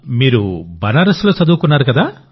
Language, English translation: Telugu, You have studied in Banaras